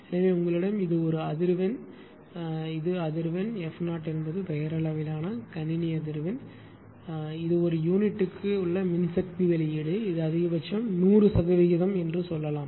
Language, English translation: Tamil, So, whatever, whatever you take, suppose you have a this is a frequency this is the frequency and f 0 is that nominal system frequency say right and this is the power output in per unit this is the maximum say 100 percent